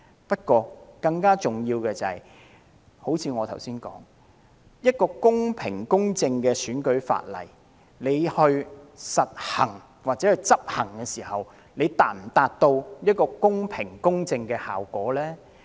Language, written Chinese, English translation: Cantonese, 但更重要的是，正如我剛才所說，公平公正的選舉法例訂立了，但在執行時是否可以達到公平公正的效果呢？, But more importantly as I have said while fair and just electoral legislation has been enacted can fairness and justice be achieved in the course of enforcement?